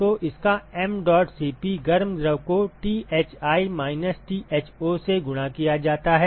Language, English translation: Hindi, So, its mdot Cp hot fluid multiplied by Thi minus Tho